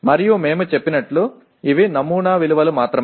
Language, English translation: Telugu, And as we said these are only sample values